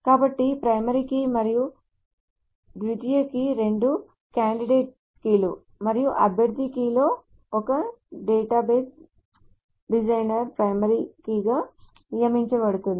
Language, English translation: Telugu, So both of them are candidate keys and one of the candidate keys is designated by the database designer as a primary key